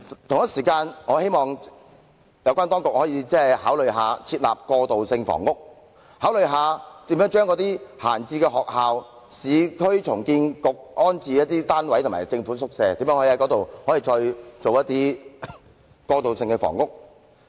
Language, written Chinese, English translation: Cantonese, 同時，我希望有關當局考慮設立過渡性房屋，考慮把空置校舍、市區重建局的安置單位和政府宿舍用作過渡性房屋。, Meanwhile I hope that the authorities concerned will consider the development of transitional housing by utilizing vacant school premises rehousing units of the Urban Renewal Authority and government quarters